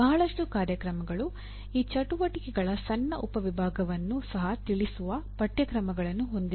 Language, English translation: Kannada, Majority of the programs do not have courses that address even a small subset of these activities